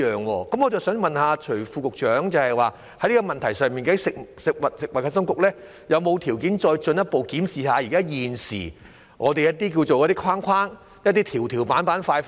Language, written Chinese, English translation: Cantonese, 我想問徐副局長，就着這問題，究竟食物及衞生局是否有條件再進一步檢視現時的框框、"條條板板塊塊"？, I wish to ask Under Secretary Dr CHUI whether there is any room for the Food and Health Bureau to further review the existing arrangements the red tape with regard to this issue